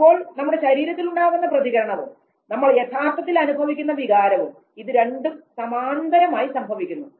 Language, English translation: Malayalam, So, the bodily response and the felt experience of the emotion both of them they go parallel to each other